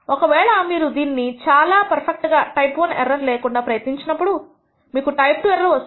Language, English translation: Telugu, If you try to make your test perfect in the sense of no type I error then you will come commit a type II error of one